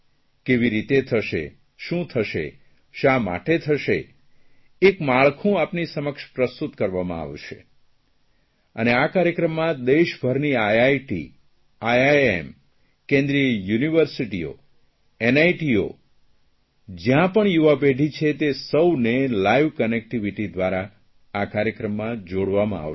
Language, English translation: Gujarati, In this program all the IIT's, IIM's, Central Universities, NIT's, wherever there is young generation, they will be brought together via live connectivity